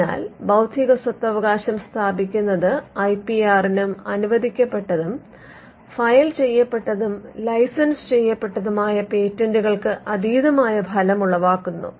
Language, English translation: Malayalam, So, setting up intellectual property rights has an effect beyond just the IPR and the patents that are granted, filed and licensed